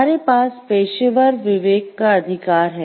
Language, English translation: Hindi, Next, we have the right of professional conscience